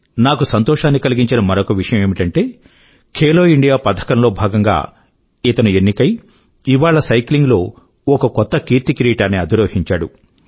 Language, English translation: Telugu, He was selected under the 'Khelo India' scheme and today you can witness for yourself that he has created a new record in cycling